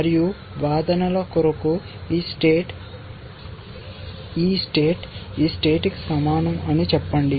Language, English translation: Telugu, And let us for arguments sake say that, this state is equal to this state